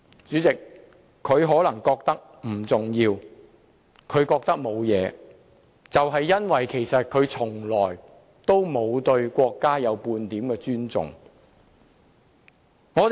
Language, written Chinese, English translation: Cantonese, 主席，他可能認為不重要和沒有問題，正正因為他對國家從來沒有半點尊重。, President he may consider it insignificant and fine precisely because he has never held the slightest respect for the country